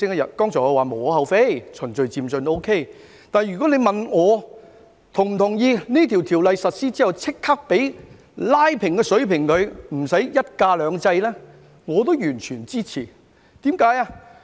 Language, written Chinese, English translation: Cantonese, 我剛才說無可厚非，可以順序漸進；但如果你問我是否同意在條例實施後立即拉平，取消"一假兩制"，我亦完全支持。, Just now I said that the increase is justifiable and can be done in a gradual and orderly manner but if you ask me if I agree to align the holidays immediately after the enactment of the legislation and abolish one holiday two systems I fully support it as well